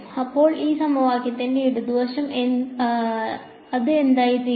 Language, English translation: Malayalam, So, the left hand side of this equation, what does it become